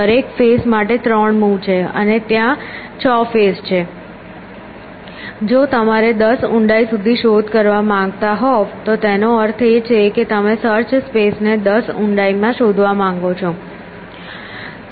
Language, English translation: Gujarati, 3 for each face, and there are 6 faces if you had to search up to a depth of ten which means you want to explore the space up to depth ten